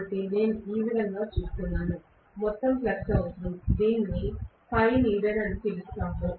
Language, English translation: Telugu, So, I am looking at it this way, the total flux needed, I will call this as phi needed